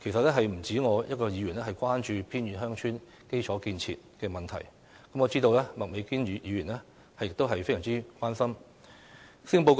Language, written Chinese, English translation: Cantonese, 其實不止我一位議員關注偏遠鄉村基礎設施的問題，我知道麥美娟議員也非常關心這個問題。, Actually I am not the only Member who has expressed concern about infrastructure facilities in remote villages . I know that Ms Alice MAK is also very concerned about this issue